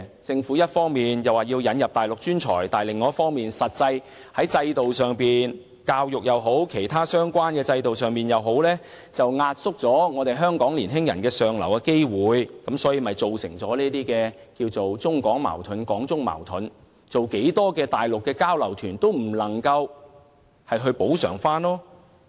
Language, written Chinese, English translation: Cantonese, 政府一方面引入內地專才，同時亦由得現行的教育制度及其他相關制度壓縮本地年輕人向上流動的機會，結果造成更多的中港矛盾，這並非增加舉辦內地交流團便可補救的。, On the one hand the Government has admitted Mainland professionals and on the other it allows local young peoples opportunities of moving up the social ladder to be suppressed under the current education system and other relevant systems as well thus leading to more China - Hong Kong conflicts in the end . The increase in Mainland exchange tours is indeed no remedy to this particular problem